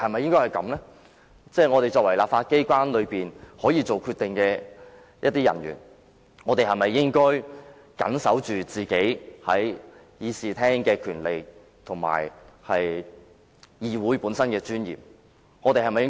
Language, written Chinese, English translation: Cantonese, 身為在立法機關內可以作決定的人，我們是否應該堅守我們在議事廳內的權利及議會的尊嚴呢？, We are the very ones who can make the decision in the legislature . Shouldnt we endeavour to safeguard our rights in this Chamber and the dignity of the legislature?